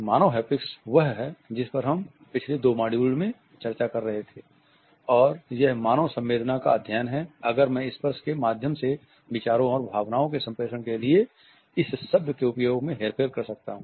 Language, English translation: Hindi, Human haptics is what we have been discussing in the last two modules, the study of human sensing and if I can use this word manipulation of their ideas and emotions through touch